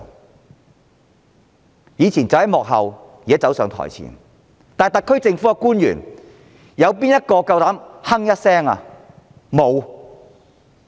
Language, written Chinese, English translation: Cantonese, 他們以往站在幕後，現在卻走上台前，沒有特區政府官員膽敢哼一聲。, While they stayed behind the scenes in the past they have now moved to the front stage . No Hong Kong SAR government official would dare say a word